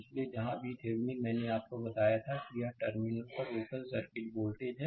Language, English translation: Hindi, So, where V Thevenin, I told you it is open circuit voltage at the terminal